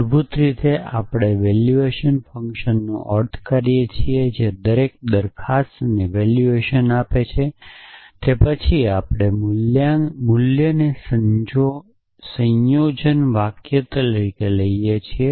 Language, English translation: Gujarati, Basically we mean the valuation function which assigns of valuation to each atomic proposition and then we can lift the valuation up to the compound sentences